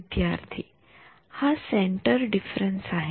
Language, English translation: Marathi, This is centre difference